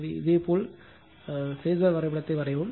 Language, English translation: Tamil, So, just you superimpose and just draw the phasor diagram